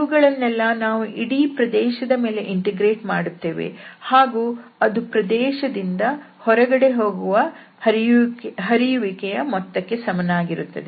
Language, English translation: Kannada, So all these we are now integrating over the whole region and that is just equal to the net flow out of the region